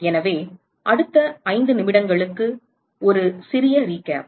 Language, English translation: Tamil, So, just a little recap for the next five minutes